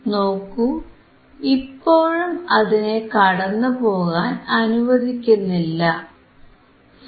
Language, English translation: Malayalam, You can see now, still it is still not allowing to pass